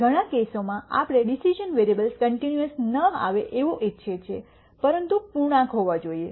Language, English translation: Gujarati, In many cases we might want the decision variable not to be continuous, but to be integers